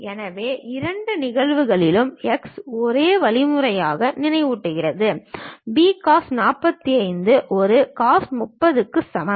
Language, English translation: Tamil, So, in both cases x remind same means, B cos 45 is equal to A cos 30